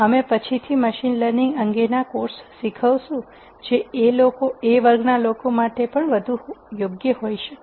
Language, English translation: Gujarati, We will be teaching a course on machine learning later which might be more appropriate for people of this category